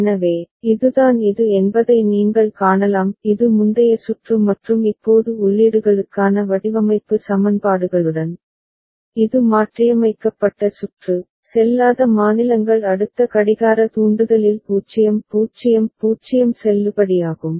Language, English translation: Tamil, So, that is what you can see that this is the this was the earlier circuit and now with those design equations for inputs, this is the modified circuit, where the invalid states going to valid 0 0 0 at next clock trigger